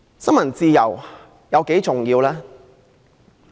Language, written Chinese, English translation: Cantonese, 新聞自由有多重要？, How important is freedom of the press?